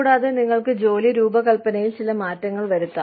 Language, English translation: Malayalam, And, you could also make, some changes to the job design